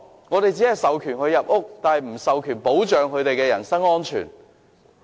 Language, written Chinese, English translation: Cantonese, 我們只是授權他們進入屋內，但卻沒有保障他們的人身安全。, We merely authorize them to enter residential units without protecting their personal safety